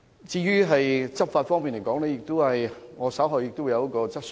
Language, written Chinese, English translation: Cantonese, 至於執法方面，我稍後會提出一項有關的質詢。, With regard to law enforcement I will raise a relevant question later on